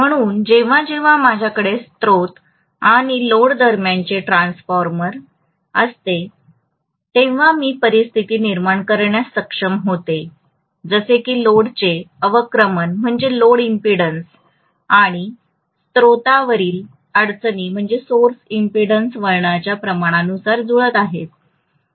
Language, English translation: Marathi, So whenever I have an intervening transformer between a source and the load I will be able to make or create a situation as though the load impedance and source impedances are being matched depending upon the turn’s ratio